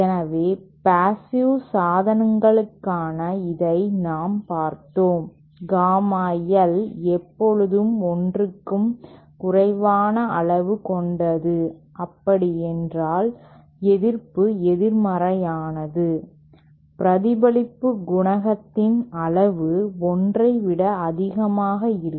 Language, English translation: Tamil, So, we saw this for passive devices Gamma L is always has a magnitude less than 1 that means the resistance is negative, the magnitude of the reflection coefficient will be greater than 1